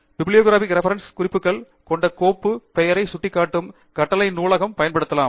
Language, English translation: Tamil, You can use the command bibliography to point the file name containing the bibliographic references